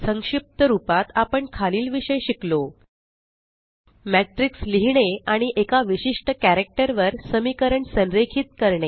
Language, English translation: Marathi, Now, we can also use matrices to write two or three equations and then align them on a particular character